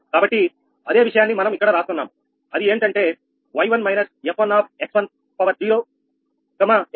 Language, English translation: Telugu, right now you can write: y one minus f one is equal to this one